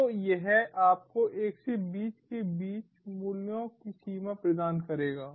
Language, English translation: Hindi, so it will give you range of values between one to twenty